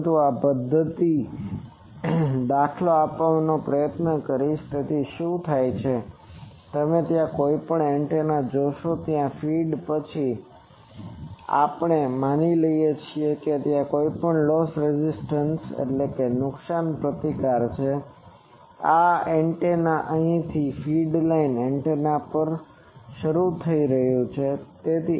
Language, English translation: Gujarati, But I will try to give an example of this method, so what is done that you see the any antenna there is a feed then after that we are assuming that there is a loss resistance, this is the antenna started from here after feed line antenna started